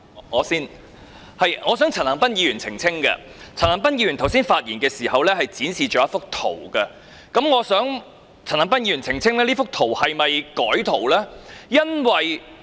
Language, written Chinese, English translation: Cantonese, 我先，我想陳恒鑌議員澄清，他剛才發言時展示了一幅圖片，我想請陳恒鑌議員澄清他那幅圖片曾否被修改？, First of all I wish to seek a clarification from Mr CHAN Han - pan who showed a picture when he spoke just now . May I ask Mr CHAN Han - pan to clarify whether the picture has been altered?